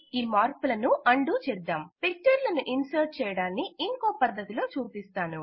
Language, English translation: Telugu, Lets undo the changes Let me demonstrate another way to insert pictures